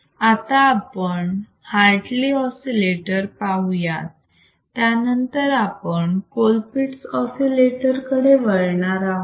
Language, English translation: Marathi, Now thatif we have seen Hartley oscillator; then, let us we also see Colpittt’s oscillator; why